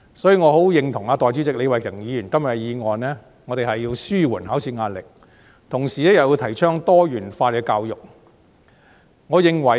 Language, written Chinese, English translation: Cantonese, 所以，我十分認同代理主席李慧琼議員今天的議案，我們要紓緩考試壓力，同時又要提倡多元教育。, For this reason I very much agree with the motion of Deputy President Starry LEE today . We need to alleviate the pressures of exams while advocating diversified education